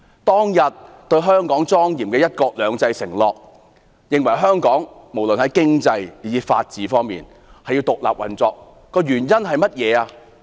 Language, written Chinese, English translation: Cantonese, 當日對香港莊嚴的"一國兩制"承諾，要香港無論在經濟以至法治方面均獨立運作，原因是甚麼？, The solemn promise of one country two systems was made years ago to ensure that Hong Kong would operate independently with respect to its economy and its governance under the rule of law . Why was this promise made?